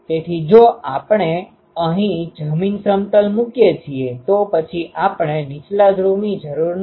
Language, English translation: Gujarati, So, if we place a ground plane here, then we need not have the lower pole